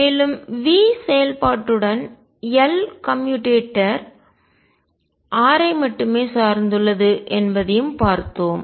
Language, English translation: Tamil, And we have just seen that L commutator with function V with that depends only on r it is also 0